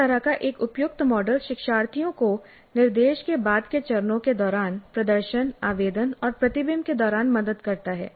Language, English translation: Hindi, Such an appropriate model helps the learners during the subsequent phases of the instruction that is during demonstration, application and reflection